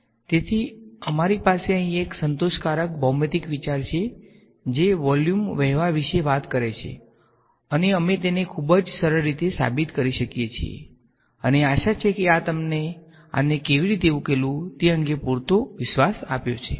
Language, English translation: Gujarati, So, we have a satisfactory a geometrical idea over here which talks about volume flowing out and we can prove it in a very simple way and hopefully this has given you enough confidence on how to solve this